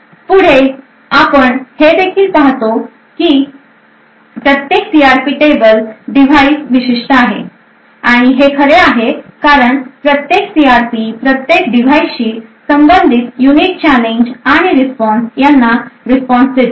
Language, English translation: Marathi, Further, what we also see is that each CRP table is device specific and this is true because each CRP response to the unique challenge and responses corresponding to each device